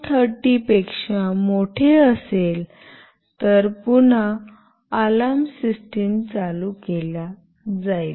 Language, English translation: Marathi, 30, again the alarm system will be put on